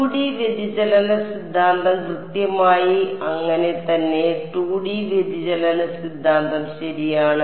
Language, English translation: Malayalam, 2D divergence theorem exactly so, 2D divergence theorem right